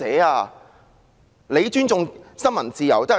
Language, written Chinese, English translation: Cantonese, 她說自己尊重新聞自由？, She said she respects the freedom of the press